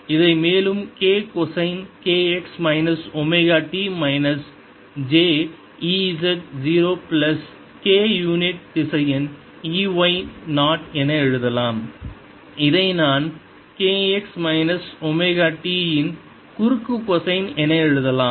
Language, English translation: Tamil, this can be further written as k cosine k x minus omega t, minus j e z zero, plus k unit vector e y zero, which i can write as k cosine of k x minus omega t